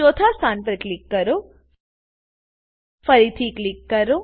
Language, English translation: Gujarati, Click on the fourth position